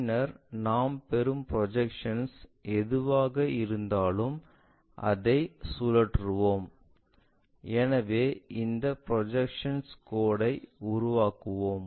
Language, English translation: Tamil, Then, whatever the projections we get like rotate that, so we will have that line projections and so on we will construct it